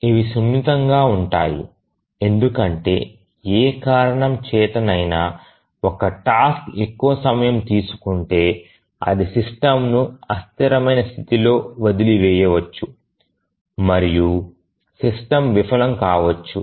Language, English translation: Telugu, These are fragile because if for any reason one of the tasks takes longer then it may leave the system in inconsistent state and the system may fail